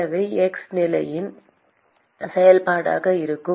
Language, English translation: Tamil, So, this is in principle a function of x